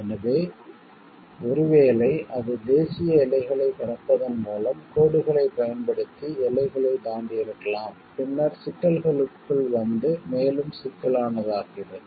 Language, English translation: Tamil, So, and maybe if it is crossed borders using lines by crossing national boundaries to come into the problems becomes further more complex